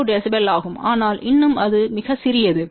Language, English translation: Tamil, 2 db, but still it is very small